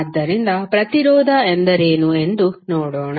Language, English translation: Kannada, So, let see what see what is resistance